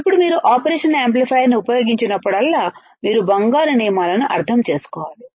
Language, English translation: Telugu, Now, whenever you use operational amplifier, whenever you use operational amplifier, you had to understand golden rules